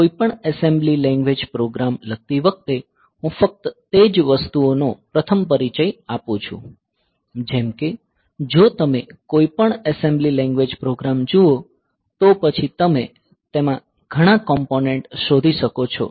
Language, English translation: Gujarati, So, while writing any assembly language program let me just introduce just those things first like if you look into any assembly language program then you can find several components in it assembly language program